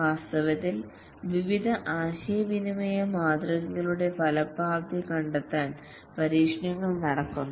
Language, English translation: Malayalam, In fact, there were experiments done to find the effectiveness of various communication modes